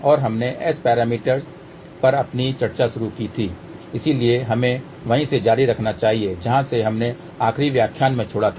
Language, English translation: Hindi, And we had started our discussion on S parameters so let us continue from where we left in the last lecture